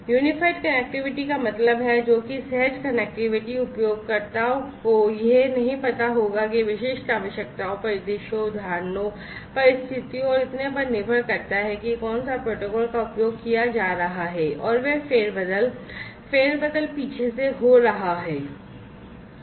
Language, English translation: Hindi, Unified connectivity means what, that seamless connectivity users would not know how which protocol depending on the specific requirements, scenarios, instances, circumstances and so on, which protocols are being used and they are,you know, they are basically getting shuffled, reshuffled and so on at the back end